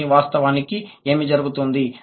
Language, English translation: Telugu, But what happens actually